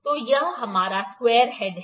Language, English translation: Hindi, So, this is our square head